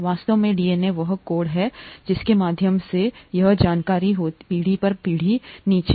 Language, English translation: Hindi, In fact DNA is the code through which this information is passed down generations